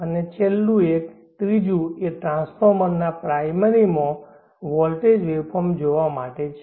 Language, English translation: Gujarati, And the last one third one is to see the voltage waveform across the primary of the transformer